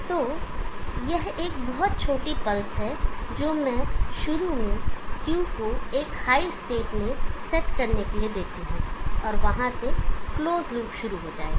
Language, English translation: Hindi, So it is a very small pulse which I give to initially set Q to a high state and from there on the close loop will take over